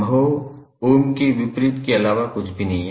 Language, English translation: Hindi, Mho is nothing but the opposite of Ohm